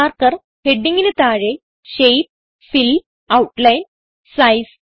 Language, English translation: Malayalam, Under Marker heading we have Shape, Fill, Outline and Size